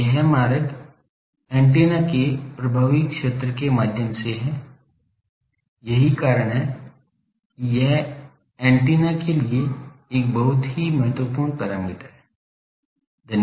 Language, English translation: Hindi, So, this route is through the effect area of the antenna that is why, it is a very important parameter for the antenna